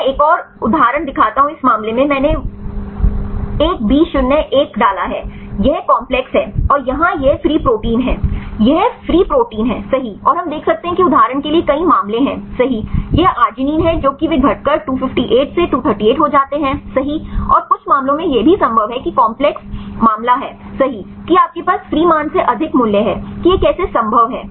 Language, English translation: Hindi, I show one more example right in this case I put 1B01 this is the complex, and here this is the free protein this is the free protein right and we see there are several cases right for example, this is arginine they reduce to 258 to 238 right and some cases it is also possible that the complex case right that you have more values than the free one how this is possible